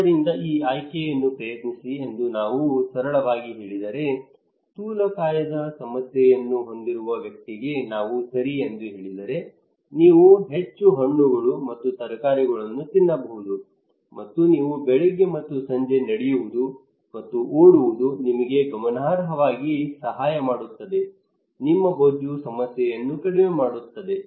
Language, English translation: Kannada, So if we simply say like this one that try this option, a person who is having obesity issue if we simply tell them okay you can eat more fruits and vegetables and you can walk and run on the morning and evening that would significantly help you to reduce your fat your obesity issue